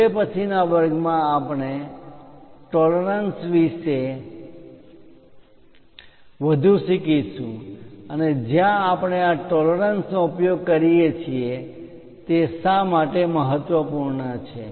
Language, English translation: Gujarati, In the next class, we will learn more about tolerances and where we use these tolerances, why they are important